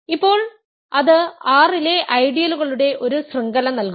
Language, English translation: Malayalam, Now, that gives a chain of ideals in R